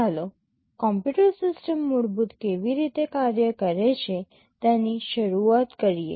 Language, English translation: Gujarati, Let us start with how a computer system works basically